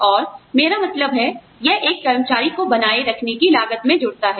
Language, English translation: Hindi, And, I mean, it adds to the cost, of the retaining an employee